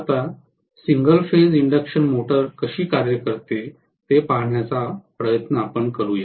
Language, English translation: Marathi, Now, let us try to look at how the single phase induction motor works